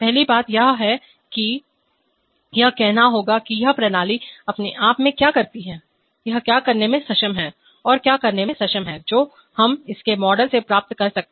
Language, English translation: Hindi, The first thing is that we have to say, what this system does by itself, what it is capable of doing, what it is capable of doing, that we can get from its model